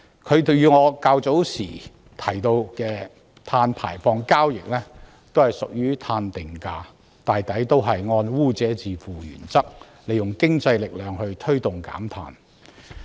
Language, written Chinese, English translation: Cantonese, 碳稅與我較早時提到的碳排放交易均屬於碳定價制度，同樣是按污者自付的原則，利用經濟力量推動減碳。, Both carbon tax and emissions trading I mentioned earlier are covered under a carbon pricing system which also adopts the polluter pays principle to promote decarbonization through economic means